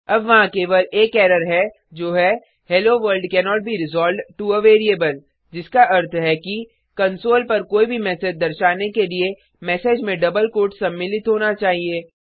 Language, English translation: Hindi, their is only one error now which says hello world cannot be resolved to a variable, which means to display any message on the console the message has to be included in double quotes